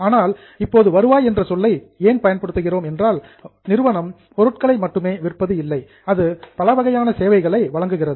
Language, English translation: Tamil, But now the term revenue because entity might not be selling the goods, it can also be providing variety of services